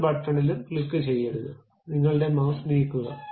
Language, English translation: Malayalam, Do not click any button, just move your mouse